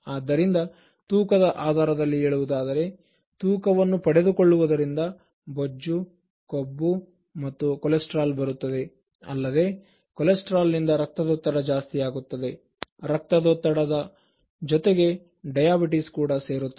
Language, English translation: Kannada, ” So, the more excess particularly interms of weight, so gaining weight becoming obese, gaining fat, getting cholesterol then added with cholesterol you get blood pressure, and then along with blood pressure, diabetes joins